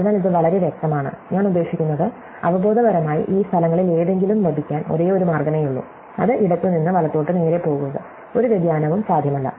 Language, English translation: Malayalam, So, and it is very clear, I mean, intuitively there is only one way to get any of these places, which is just to go straight from left to right, no deviation is possible